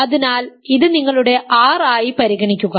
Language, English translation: Malayalam, So, consider this as your R